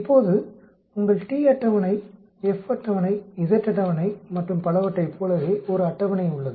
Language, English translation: Tamil, Now, there is a table just like your t table, F table, z table and so on